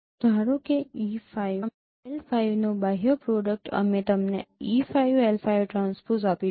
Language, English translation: Gujarati, Suppose the outer product of E5 L5 will give you E5 L5 transpose